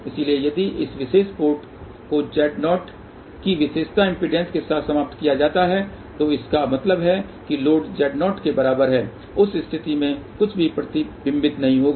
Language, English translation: Hindi, So, if this particular port is terminated with a characteristic impedance of Z 0 that means, load is equal to Z 0 in that case nothing will reflect